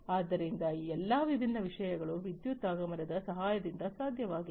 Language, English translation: Kannada, So, all these different things have been possible with the help of the advent of electricity